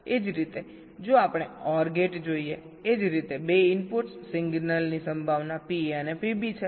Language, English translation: Gujarati, similarly, if we look at an or gate, same way: two inputs, the signal probabilities are pa and pb